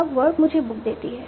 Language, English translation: Hindi, Now, verb also gives me a book